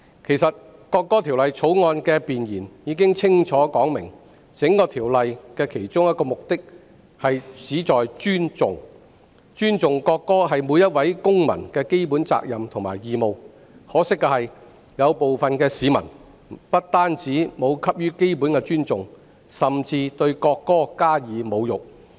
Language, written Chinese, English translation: Cantonese, 其實《條例草案》的弁言已經清楚說明，《條例草案》的其中一個目的是尊重國歌，這是每位公民的基本責任和義務，可惜，部分市民不但沒有給予國歌基本的尊重，甚至對國歌加以侮辱。, In fact it is clearly stated in the Preamble of the Bill that one of the objectives of the Bill is to respect the national anthem which is the fundamental responsibility and obligation of every citizen . Regrettably some people not only did not show any respect for the national anthem but even insulted it